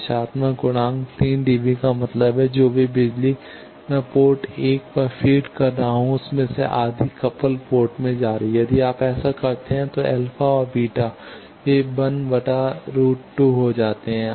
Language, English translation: Hindi, Coupling factor 3 dB means, whatever power I am feeding at port 1 half of that power is going to the coupled port, if you do that then the alpha and beta they turns out to be 1 by root 2